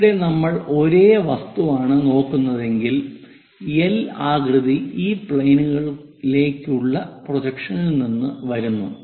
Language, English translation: Malayalam, Here, the object if we are looking the same object the L shape comes from projection of that one onto this plane